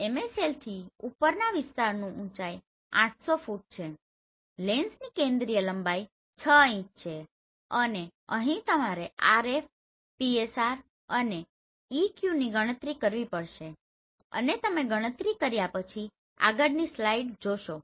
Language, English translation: Gujarati, Elevation of area above MSL that is 800 feet, focal length of lens that is 6 inches and here you have to calculate RF, PSR and EQ and you just see the next slide after you have done with the calculation